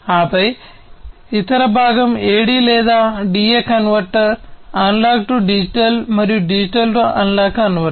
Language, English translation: Telugu, And then the other component is the AD or DA converter, Analog to Digital and Digital to Analog converter